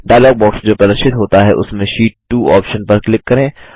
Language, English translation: Hindi, In the dialog box which appears, click on the Sheet 2 option